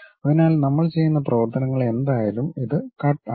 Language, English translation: Malayalam, So, whatever the operations we are making this is the cut